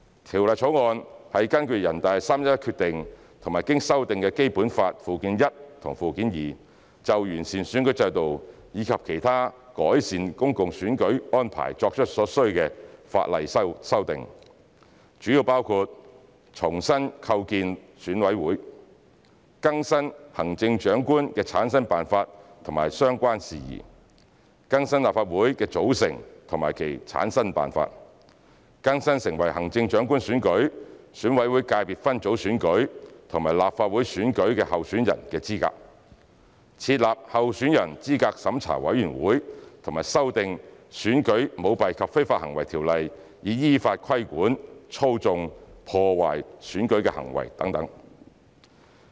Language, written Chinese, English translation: Cantonese, 《條例草案》是根據《決定》和經修訂的《基本法》附件一和附件二，就完善選舉制度及其他改善公共選舉安排作出所需的法例修訂，主要包括重新構建選委會、更新行政長官的產生辦法及相關事宜、更新立法會的組成及其產生辦法、更新成為行政長官選舉、選委會界別分組選舉及立法會選舉的候選人的資格、設立候選人資格審查委員會和修訂《選舉條例》以依法規管操縱、破壞選舉的行為等。, The Bill has in accordance with the Decision and the amended Annexes I and II to the Basic Law made necessary legislative amendments to improve the electoral system and enhance other public election arrangements . These mainly include reconstituting EC; updating the method for selecting the Chief Executive and related matters; updating the composition and formation of the Legislative Council; updating the eligibility of becoming candidates in the Chief Executive elections EC Subsector ECSS elections and the Legislative Council elections; establishing the Candidate Eligibility Review Committee and amending the Elections Ordinance in accordance with the law to regulate acts that manipulate or undermine elections